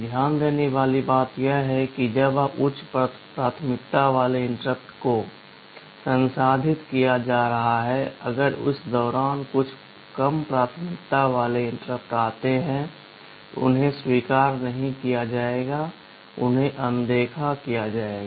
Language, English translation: Hindi, The point to note is that when a high priority interrupt is being processed, if some lower priority interrupt comes in the meantime; they will not be acknowledged, they will be ignored